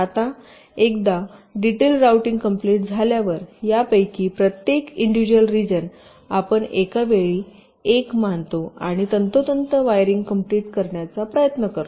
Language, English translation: Marathi, now, once a global routing is done, then each of this individuals region, you consider one at a time and try to complete the exact wiring